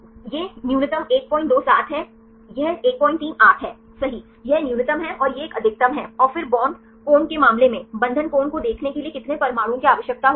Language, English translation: Hindi, 38 right this is the minimum and this is a maximum fine then in case of bond angle, how many atoms are required to look at the bond angle